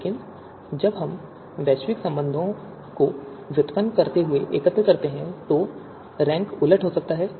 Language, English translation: Hindi, But when we aggregate while deriving the global relations, the rank reversal might occur